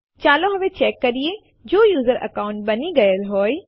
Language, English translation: Gujarati, Let us now check, if the user account has been created